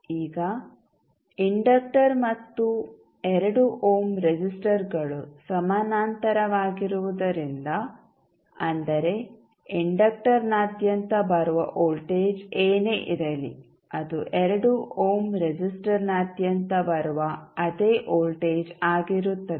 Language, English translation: Kannada, Now, since the inductor and the 2 ohm resistors are in parallel that means whatever is the voltage coming across the inductor will be the same voltage which is coming across the 2 ohm resistor